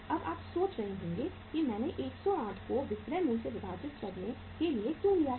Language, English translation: Hindi, Now you will be wondering why I have taken the 108 here to be divided by the selling price